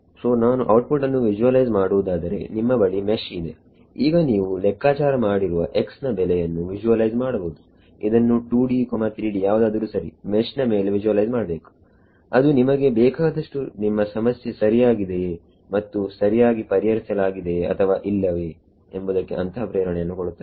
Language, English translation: Kannada, So, so if I visualizing the output you have got the mesh you now visualize the values of x that you have calculated visualize it on the mesh in 2D, 3D whatever right that gives you a lot of intuition into whether your problem is correct has been solved correctly or not ok